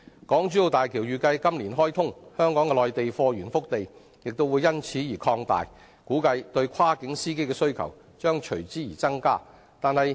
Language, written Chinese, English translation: Cantonese, 港珠澳大橋預計在今年開通，香港的內地貨源腹地亦會因而擴大，估計對跨境司機的需求將會增加。, As HZMB is expected to be commissioned this year Hong Kongs cargo hinterland in Mainland China will be expanded . The demand for cross - boundary drivers will expectedly increase